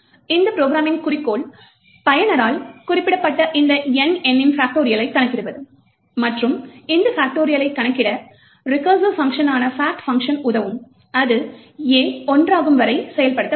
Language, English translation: Tamil, Objective of this particular program is to determine the factorial of this number N which is specified by the user and the way this factorial is computed is by the function fact which is a recursive function that gets invoked until a becomes one